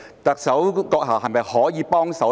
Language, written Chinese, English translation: Cantonese, 特首閣下是否可以幫忙呢？, Could the Chief Executive offer help?